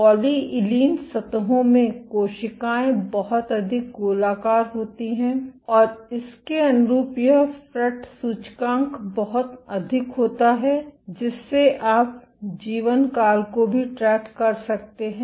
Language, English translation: Hindi, In polylysine surfaces cells were much more rounded and consistent with this the fret index was much higher you could also track the lifetime